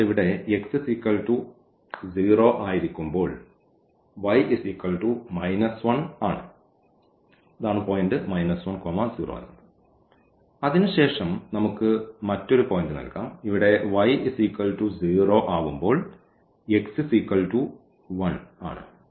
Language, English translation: Malayalam, So, here when x is 0 y is minus 1 so, this is the point minus 1 0 and then we can have another point for instance here 1 y is 0 x is 1